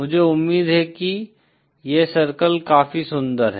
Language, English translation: Hindi, I hope this circle is pretty enough